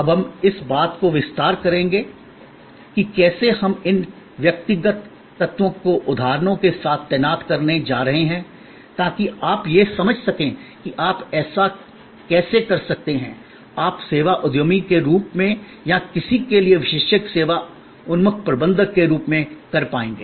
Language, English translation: Hindi, We will now expand that how we are going to deploy these individual elements with examples to understand that how you could do that, you will be able to do that as a service entrepreneur or as a service entrepreneur or as a expert service oriented manager for any kind of business